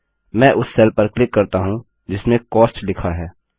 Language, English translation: Hindi, I will click on the cell which has Cost written in it